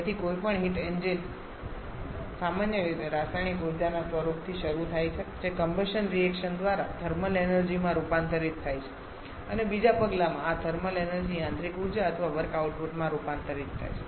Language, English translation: Gujarati, So, any heat engine commonly starts with a form of chemical energy through the reaction combustion reaction it gets converted to thermal energy and in the second step this thermal energy is converted to mechanical energy or work output